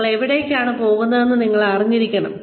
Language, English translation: Malayalam, You should know, where you are headed